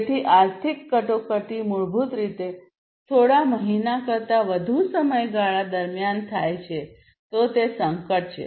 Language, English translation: Gujarati, So, economic crisis basically takes place over a duration not more than a few months, so that is the crisis